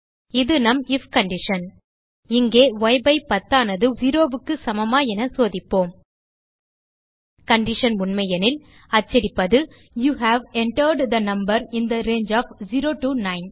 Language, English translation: Tamil, This is our if condition Here, we will check whether y/10=0 If the condition is true We print you have entered a number in the range of 0 9